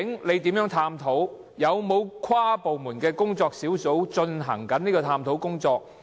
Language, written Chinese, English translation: Cantonese, 現時有否任何跨部門工作小組正在進行有關的探討工作？, Is there any inter - departmental working group undertaking this work at the moment?